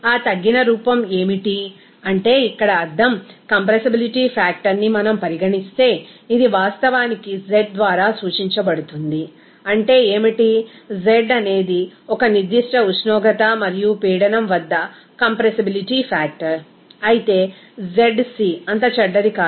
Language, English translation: Telugu, What is that reduced form, that means here, if we consider that know compressibility factor, this will be actually represented by z by zc, what is that, z is compressibility factor at a certain temperature and pressure, whereas zc is nothing bad that that compressibility factor is at critical condition